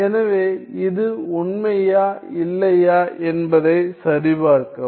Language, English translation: Tamil, So, check whether this is true or not